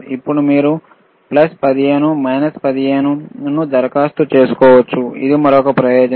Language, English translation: Telugu, Then you you can apply plus 15 minus 15 right thatwhich is the another advantage